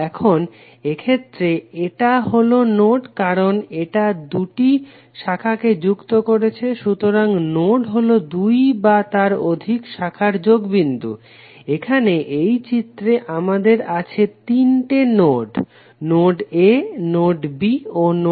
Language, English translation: Bengali, So node will be the connection between the two or more branches, Here in this figure we have three nodes, node a, node b and node c